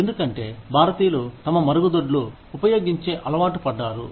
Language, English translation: Telugu, Because, that is the way, Indians are used to, using their toilets